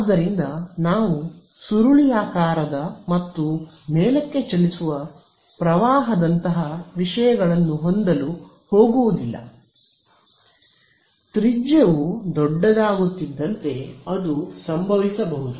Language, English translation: Kannada, So, we are not going to have things like a current that is spiraling and moving up right, that may happen as the radius becomes bigger then as happening